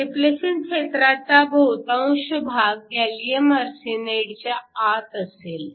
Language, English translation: Marathi, Most of the depletion region will be within the gallium arsenide